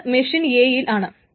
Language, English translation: Malayalam, And machine A may be down